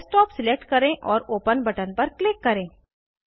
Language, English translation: Hindi, Select Desktop and click on Open button